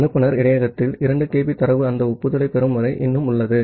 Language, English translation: Tamil, Then in the sender buffer that 2 kB of data is still there until it receives that acknowledgement